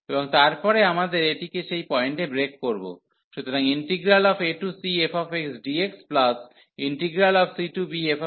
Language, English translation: Bengali, And then we have to break this at that point, so a to c fx dx, and then c to b f x dx